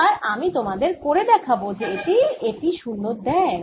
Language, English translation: Bengali, i'll show you now that this also gives you zero